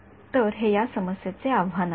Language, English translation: Marathi, So, this is the challenge of this problem and